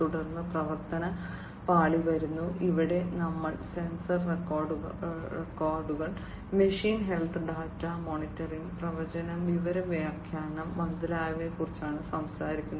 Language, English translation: Malayalam, Then comes the conversion layer, here we are talking about sensor records, you know, machine health data monitoring, prediction, information interpretation, and so on